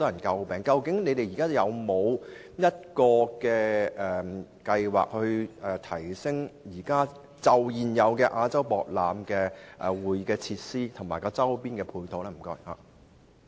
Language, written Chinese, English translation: Cantonese, 究竟局長現時有否計劃，去提升亞博館現有的會議設施及周邊配套？, Does the Secretary have any plans to upgrade the existing conference facilities and ancillary facilities on the periphery of the AsiaWorld - Expo?